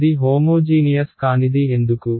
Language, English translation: Telugu, It is non homogeneous why